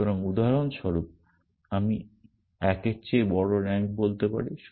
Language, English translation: Bengali, So, for example, I can say rank greater than 1 and so on